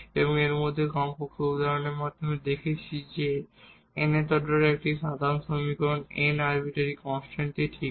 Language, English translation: Bengali, And in that we have seen at least through the examples that a general solution of nth order we will contain n arbitrary constants ok